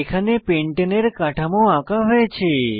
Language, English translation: Bengali, Here the structure of pentane is drawn